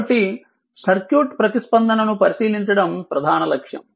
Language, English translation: Telugu, So, main objective is to examine the circuit response